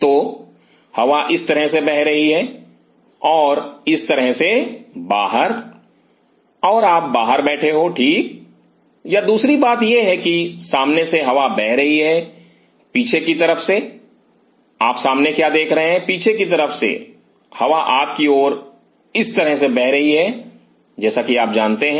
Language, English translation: Hindi, Or the second thing is that air is flowing from the front from the back side what you are looking at the front from the back side air is flowing towards you like this you know